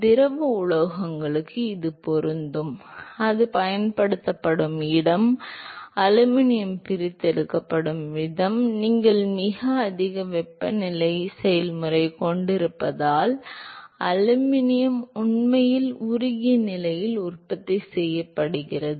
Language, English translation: Tamil, This is true for liquid metals, the place where it is used is, the way aluminum is extracted as you have a very high temperature process, where the aluminum is actually manufactured at a molten state